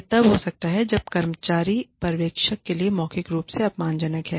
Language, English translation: Hindi, It may occur, when an employee is, verbally abusive, to the supervisor